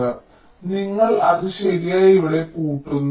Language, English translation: Malayalam, so you are correctly latching it here